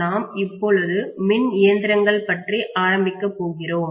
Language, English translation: Tamil, Okay, we are starting on electrical machines